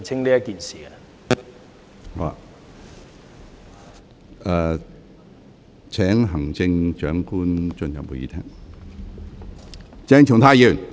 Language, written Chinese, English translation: Cantonese, 我現在請行政長官進入會議廳。, I now ask the Chief Executive to enter the Chamber